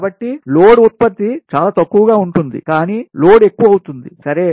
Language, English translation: Telugu, so load generation will be much less, load will be more, right